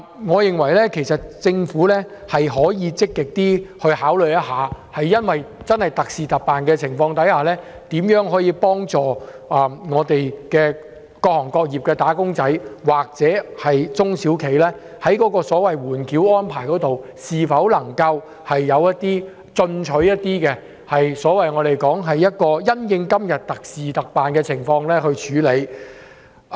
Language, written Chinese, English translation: Cantonese, 我認為政府可以積極考慮特事特辦，研究如何幫助各行各業的"打工仔"及中小企，例如在緩繳稅項方面採取更進取的措施，因應目前的狀況以特事特辦的方式來處理。, In my opinion the Government should actively consider making special arrangements under special situations and study ways to assist wage earners and small and medium enterprises SMEs of various sectors and industries . For example it may adopt more active measures on the holding over of provisional tax by making special arrangements under the present special situation